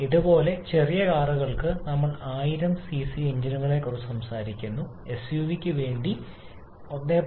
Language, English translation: Malayalam, Similarly, for smaller cars we talk about 1000 cc engines for sedans we talk about 1